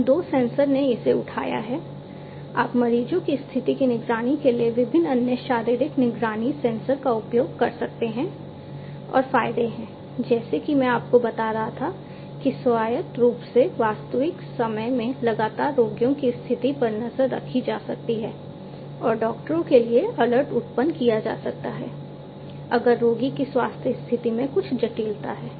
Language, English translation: Hindi, So, these two sensors have this picked up like this you can use different other physiological monitoring sensors to monitor the condition of the patients and the advantages is, as I was telling you that autonomously in real time continuously the condition of the patients can be monitored and alerts can be generated for the doctors if there is some criticality in the health condition of the patient